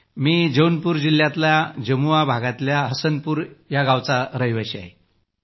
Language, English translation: Marathi, I am a resident of village Hasanpur, Post Jamua, District Jaunpur